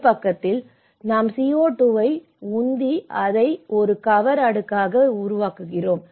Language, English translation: Tamil, So, one side we are pumping the CO2, making it as a cover layer